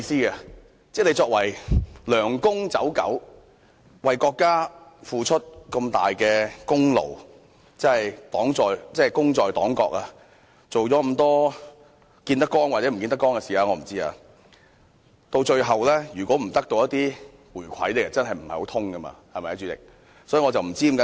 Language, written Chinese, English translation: Cantonese, 換言之，作為"梁公走狗"，為國家付出這麼大的功勞，功在黨國，見得光或不見得光的事情都做了這麼多，如果最後得不到一些回饋，真的說不過去，對嗎，代理主席？, In other words as the hounds of that Mr LEUNG they have made a huge contribution to both the party and the country and after so much has been done through legal or illegal means it is hardly justifiable if they can eventually get nothing in return . Is that right Deputy President?